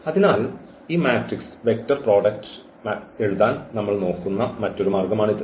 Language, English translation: Malayalam, So, that is another way of looking at this matrix vector product we can write down in this vector forms